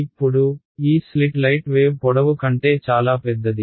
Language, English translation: Telugu, Now, this slit is much bigger than the wave length of light